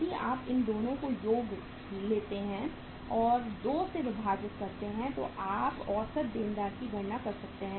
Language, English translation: Hindi, If you take the sum of these 2 and divide by 2 you can calculate the average debtors